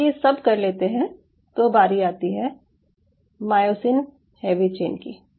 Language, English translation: Hindi, once you do this, then comes you have to have the myosin heavy chain